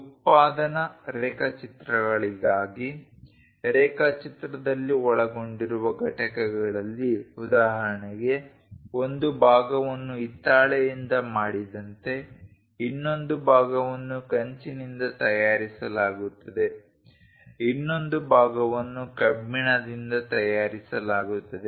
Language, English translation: Kannada, For production drawings, the components involved in the drawing for example, like one part is made with brass, other part is made with bronze, other part is made with iron